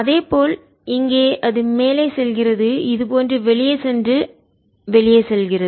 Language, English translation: Tamil, like this: goes out and goes out, like this and goes up